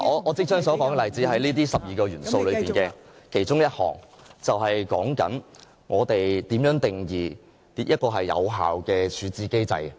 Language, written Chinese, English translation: Cantonese, 我即將說的例子是這12個主要元素中的其中一項，便是關於我們如何定義一個有效的處置機制。, I am about to cite one of the 12 key attributes as an example which relates to how we define an effective resolution regime